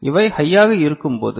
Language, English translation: Tamil, So, when these are high